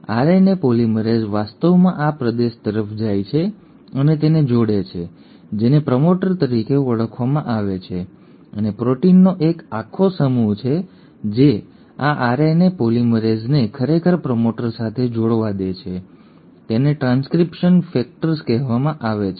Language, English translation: Gujarati, RNA polymerase actually goes and binds to this region which is called as the promoter and there are a whole bunch of proteins which allow these RNA polymerase to actually go and bind to the promoter, they are called as transcription factors